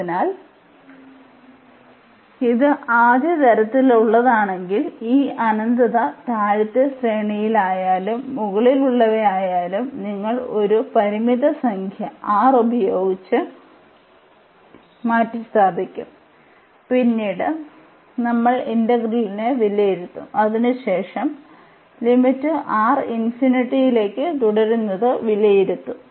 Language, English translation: Malayalam, So, if it is a of first kind then this infinity whether it is in the lower range or the upper one you will replace by a finite number R and then we will evaluate the integral later on we will take the limit as R tending to infinity